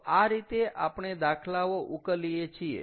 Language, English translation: Gujarati, so this is how we have solved it